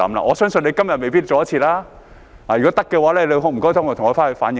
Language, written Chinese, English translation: Cantonese, 我相信他今天未必趕得及；如果可以，請你回去替我反映。, I believe that he may not be able to make it in time today . If possible I urge him to please relay my comments to the Bureau